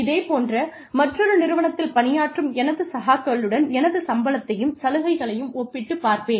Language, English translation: Tamil, I will also compare my salary and benefits, with my peers, in another similar organization